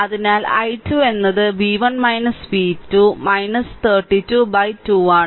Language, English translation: Malayalam, So, I i 2 I told you v 1 minus v 2 minus 32 by 2